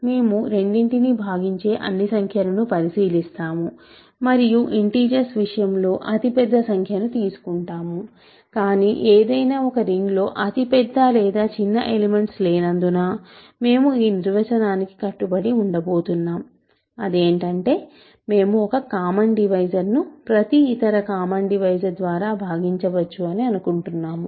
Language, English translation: Telugu, We look at all numbers that divide both of them and we take the largest one in the case of integers, but because there is no largest or smallest elements in arbitrary rings, we are going to stick to this definition where we want the common divisor to be divisible by every other common divisor